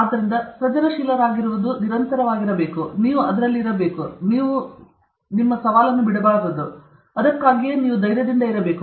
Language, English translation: Kannada, So, to be creative one needs to be persistent; you should be at it; you should not give up okay; that is why you have to be tenacious